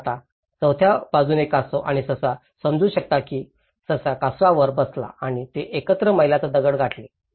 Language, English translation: Marathi, Now, in fourth aspect tortoise and hare came to an understanding, the hare sat on the tortoise and they reached a milestone together